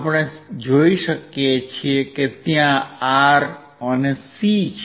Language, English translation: Gujarati, As we see there is R and C